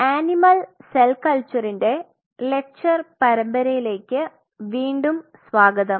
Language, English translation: Malayalam, Welcome back to the lecture series in Animal Cell Culture